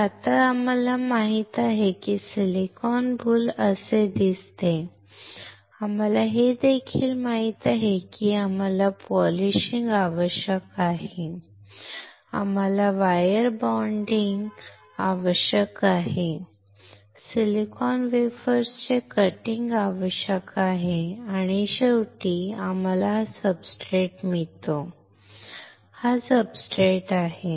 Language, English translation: Marathi, So, now, we know that silicon boule looks like this we also know that we require polishing, we require wire bonding, we require the cutting of the silicon wafers and finally, we get this substrate, this is the substrate